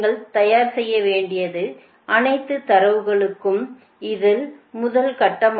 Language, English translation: Tamil, so this is the first step that all the data you have to prepare